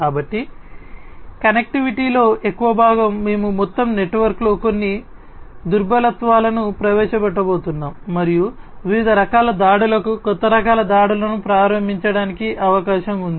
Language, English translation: Telugu, So, so much of connectivity is there that it is quite likely that we are going to introduce some vulnerabilities in the overall network and making it possible for different types of attacks, newer types of attacks to be launched